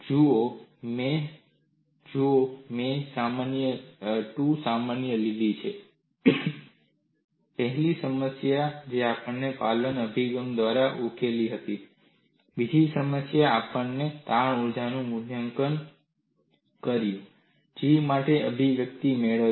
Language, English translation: Gujarati, See, I have taken 2 problems: the first problem we solved by the compliance approach; the second problem we evaluated the strain energy and obtained the expression for G